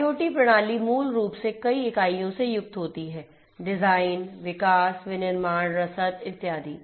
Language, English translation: Hindi, IoT system basically consists of many units; design, development, manufacturing logistics and so on